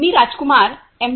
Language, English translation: Marathi, I am Rajkumar M